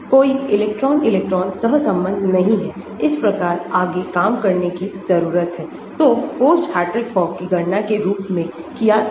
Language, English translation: Hindi, no electron electron correlation, thus further work needs to be performed, so lumped as post Hartree Fock calculations